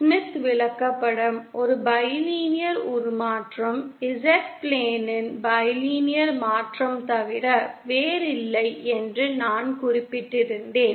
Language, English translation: Tamil, I had mentioned that Smith Chart is nothing but a bilinear transformation, bilinear transformation of Z plane